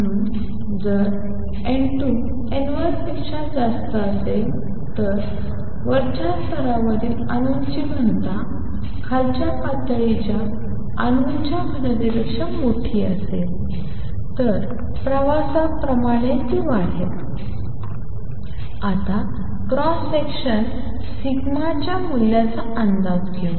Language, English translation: Marathi, So if n 2 is greater than n 1 that is the density of the atoms in the upper level is larger than the density of atoms in lower level intensity is going to increase as like travels and it gets amplified